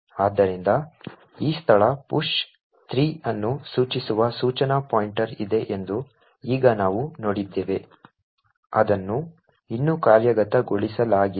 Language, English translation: Kannada, So, now we have seen that there is the instruction pointer pointing to this location push 03 which has not yet been executed